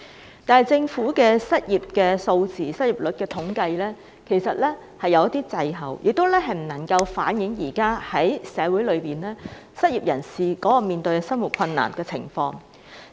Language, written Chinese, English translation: Cantonese, 不過，政府編製的失業率數字和統計卻有所滯後，未能反映現時社會上失業人士面對的生活困難情況。, Nonetheless the figures and statistics compiled by the Government are lagging behind failing to reflect the livelihood plights faced by the unemployed in society today